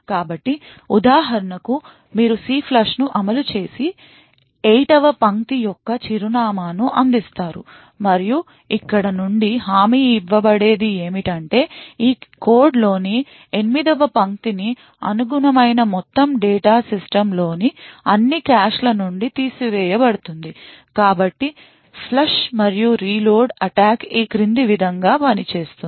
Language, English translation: Telugu, So for example, you execute CLFLUSH and provide the address of the line 8, and what would be guaranteed from here is that the line 8 all the data corresponding to line 8 in this code would be flushed from all the caches present in the system, so the flush and reload attack works as follows